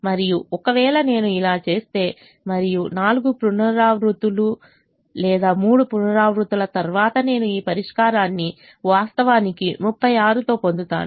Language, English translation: Telugu, and if i do that i come to this and after four iterations or three iterations, i actually get this solution with thirty six